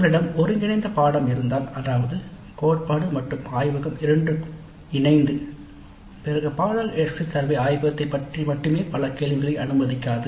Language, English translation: Tamil, Now if we have an integrated course that means both theory and laboratory combined then the course exit survey may not allow too many questions regarding only the laboratory component